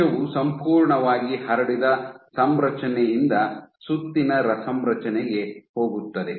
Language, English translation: Kannada, So, cell goes from a completely spreads configuration to a round configuration